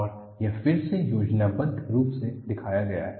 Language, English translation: Hindi, And this is again shown schematically